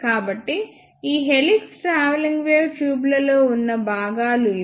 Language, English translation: Telugu, So, this is all about the working of helix travelling wave tubes